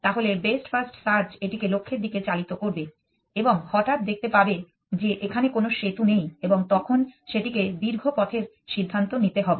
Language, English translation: Bengali, Then, the first best first search will drive it towards the goal and suddenly see that there is a no bridge and it will have to take a and find the longer path decision